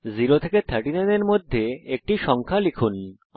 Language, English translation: Bengali, Press Enter enter a number between 0 and 39